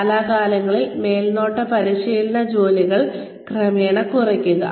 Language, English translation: Malayalam, Gradually, decrease supervision checking work, from time to time